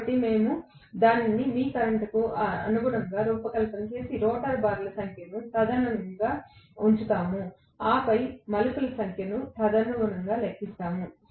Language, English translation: Telugu, So, we design it corresponding to your current and place the number of rotor bars correspondingly and then we calculate the number of turns correspondingly